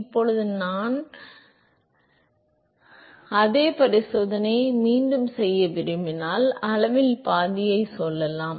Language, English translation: Tamil, Now if I want to repeat the same experiment let us say half of the size